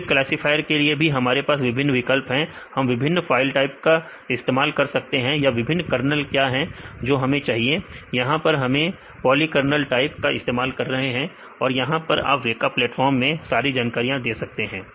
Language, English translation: Hindi, Then for the classifier also we have various options; we can use this different file types or what are the different kernels we want; here we use the polykernel type also you can see all the details in the weka platform